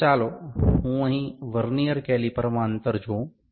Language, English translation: Gujarati, So, let me see the distance here in the Vernier caliper